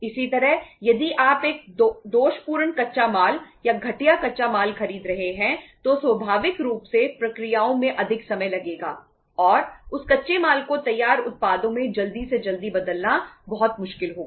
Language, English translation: Hindi, Similarly, if you are buying a defective raw material or inferior raw material naturally the say processes will take more time and it will be uh say very difficult to convert that raw material into finished products as quickly as possible